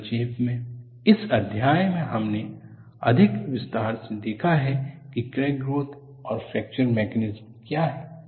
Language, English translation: Hindi, So, in essence, in this chapter, we have looked at in greater detail, what are crack growth and fracture mechanisms